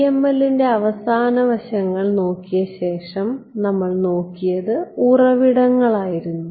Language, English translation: Malayalam, After having looked at PML’s the last aspect that we looked at was sources right